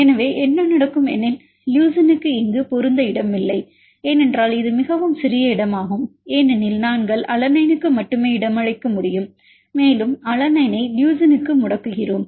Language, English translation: Tamil, So, what will happen is there is no space for leucine to accommodate here because it is a very less space we are only alanine can accommodate and we mute alanine to leucine